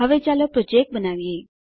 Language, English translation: Gujarati, Now let us create a Project